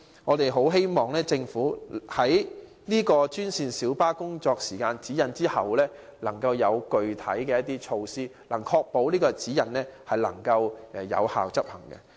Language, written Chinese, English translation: Cantonese, 我們很希望政府在提出專線小巴司機工作時間指引後，能制訂具體措施，確保該指引能有效執行。, We keenly hope that the Government will after introducing the guidelines on working hours of GMB drivers formulate specific measures to ensure their effective implementation